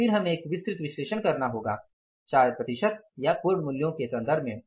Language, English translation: Hindi, Then we have to do a detailed analysis in terms of converting into percentages or maybe the absolute values